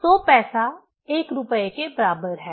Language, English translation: Hindi, 100 paisa is equal to 1 rupee